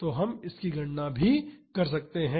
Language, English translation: Hindi, So, we can calculate that also